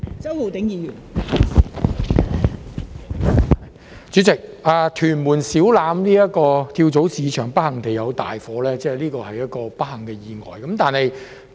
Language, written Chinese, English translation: Cantonese, 代理主席，屯門小欖跳蚤市場不幸發生大火，這是一個不幸的意外。, Deputy President it was an unfortunate accident that a major fire broke out in Siu Lam Flea Market in Tuen Mun